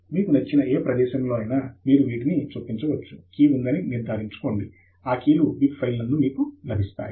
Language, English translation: Telugu, You can insert these at any location that you like; only make sure that this key is available in the bib file